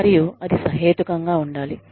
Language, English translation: Telugu, And, it should be reasonable